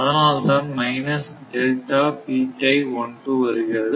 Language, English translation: Tamil, So, it is minus